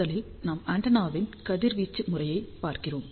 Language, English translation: Tamil, So, first of all we actually look at the radiation pattern of the antenna